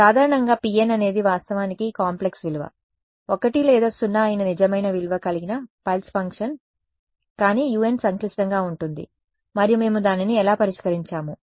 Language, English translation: Telugu, In general, complex valued right your p n is of course, real valued pulse function which is 1 or 0, but u n can be complex and then how did we solve it